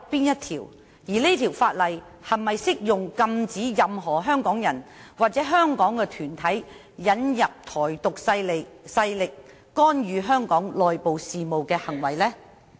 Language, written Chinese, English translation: Cantonese, 而該法例是否適用禁止任何香港人或團體引入"台獨"勢力，干預香港內部事務的行為呢？, And are these laws applicable to prohibiting any person or body in Hong Kong from inviting forces advocating Taiwan Independence to meddle in the internal affairs of Hong Kong?